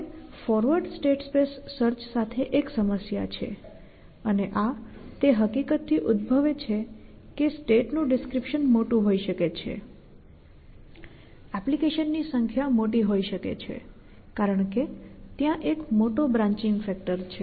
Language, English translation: Gujarati, So, the problem is forward stack space search and this arises from the fact that state description can be large, the number of applications can be large is that there is a large branching factor